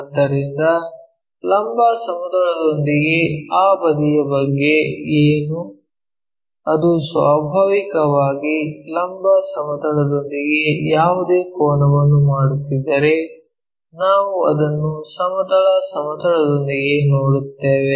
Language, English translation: Kannada, So, what about that side with vertical plane if it is making naturally any angle making with vertical plane we will see it in the horizontal plane